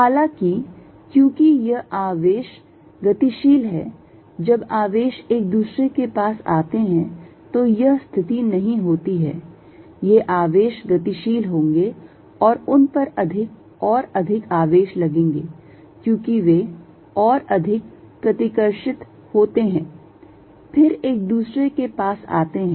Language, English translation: Hindi, However, since these charges are mobile when the charges are closed together this is not going to the situation, these charge are going to move and they are going to have more and more charges, because they repel further away then they are nearer